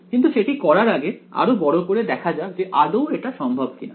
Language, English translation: Bengali, But before we do that let us zoom in and see is it possible